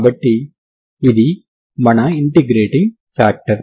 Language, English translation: Telugu, So what is the integrating factor